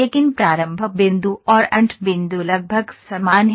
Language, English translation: Hindi, But the start point and end point are approximately the same